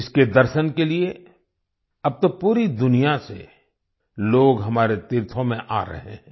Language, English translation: Hindi, Now, for 'darshan', people from all over the world are coming to our pilgrimage sites